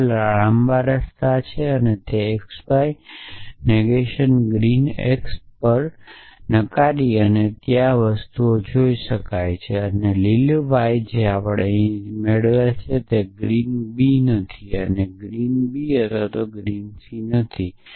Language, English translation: Gujarati, So, all 3 are long way so negation on x y negation green x yes seen that thing there and green y essentially what we get here is not green a and green b and not green b or green c